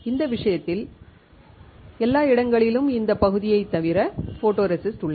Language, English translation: Tamil, In this case everywhere there is photoresist except this area